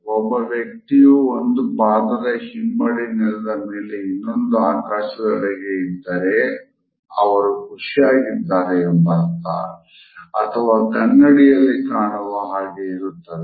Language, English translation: Kannada, If a person has the heel of one foot on the ground with the toes pointed to the sky; he or she is happy or admiring themselves; this usually happens in a mirror